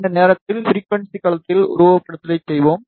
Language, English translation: Tamil, And this time, we will do the simulation in frequency domain